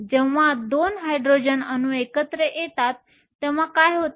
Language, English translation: Marathi, What happens when we have 2 Hydrogen atoms come together